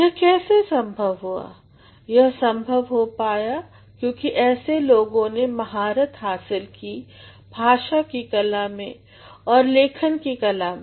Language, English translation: Hindi, How did this happen, this actually happens because such people have mastered the art of language and mastered the art of writing